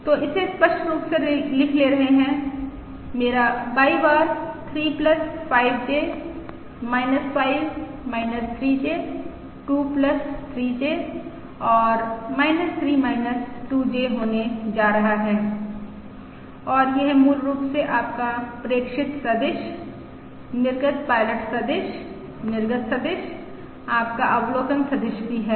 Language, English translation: Hindi, So, writing this explicitly: my Y bar is going to be 3plus 5J, minus5 minus 3J, 2 plus 3J and minus3 minus minus3, minus 2J, and this is basically your observation vector: output pilot vector, output vector, also your observation vector, You can call it by any name